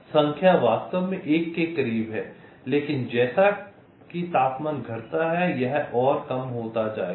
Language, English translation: Hindi, this number is actually goes to one, but as temperature decreases this will become less and less